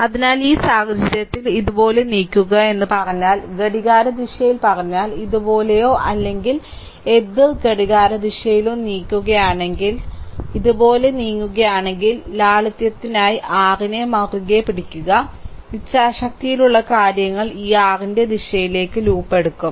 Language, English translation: Malayalam, So, in this case, it is also if you ah say we move like this, if you move like this say clockwise direction, right, if you move like this or anticlockwise direction, the way you want, if you move like this ah just hold on I for your for simplicity, I will make things in the ah I will take the loop in the direction of this your what you call this current